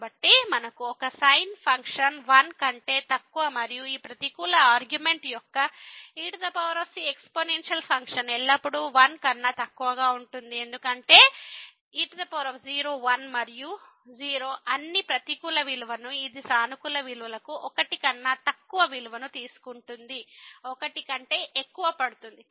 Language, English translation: Telugu, So, we have less than equal to one the function and the power the exponential function for this negative argument will be always less than because power is and o for all a negative values it takes value less than for positive values it will take more than